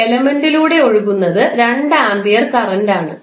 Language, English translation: Malayalam, Current which is flowing through an element is 2 amperes